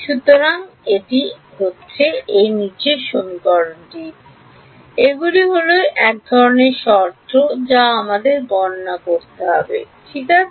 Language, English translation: Bengali, These are the kinds of terms that we have to calculate ok